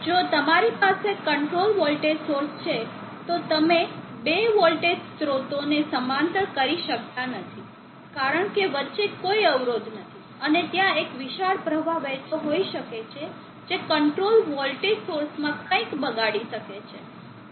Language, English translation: Gujarati, If you have a controlled voltage source you cannot parallel to voltage sources, because there is no impedance in between and there can be huge circulating current which can blow something in the control voltage source